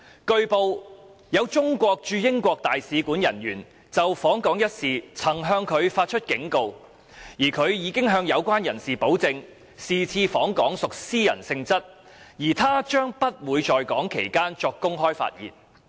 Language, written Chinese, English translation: Cantonese, 據報，有中國駐英國大使館人員就訪港一事曾向他發出警告，而他已向有關人士保證，是次訪港屬私人性質而他將不會在港期間作公開發言。, It was reported that some personnel from the Chinese embassy in UK had warned him against his visit to Hong Kong and he assured such personnel that his visit to Hong Kong would be of a private nature and that he would not make any public speech during his stay in Hong Kong